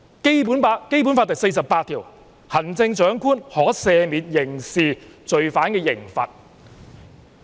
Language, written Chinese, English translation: Cantonese, 《基本法》第四十八條規定，行政長官可"赦免或減輕刑事罪犯的刑罰"。, Article 48 of the Basic Law stipulates that the Chief Executive may pardon persons convicted of criminal offences or commute their penalties